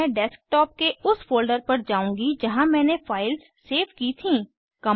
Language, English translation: Hindi, And I will go to Desktop folder where I had saved my files